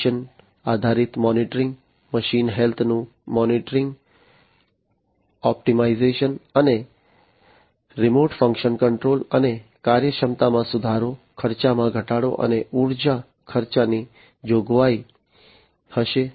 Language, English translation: Gujarati, There would be provision for condition based monitoring, monitoring of machine health, optimization, and remote function control, and improving upon the efficiency, lowering the cost, and the energy expense